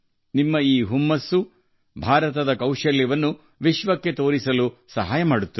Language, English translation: Kannada, So keep up the momentum… this momentum of yours will help in showing the magic of India to the world